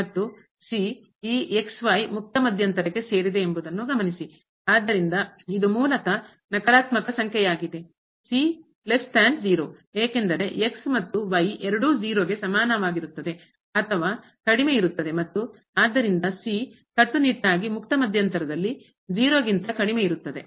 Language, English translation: Kannada, And, note that the belongs to this open interval, so, it is basically a negative number the is less than because and both are less than equal to and therefore, the will be strictly less than in the open interval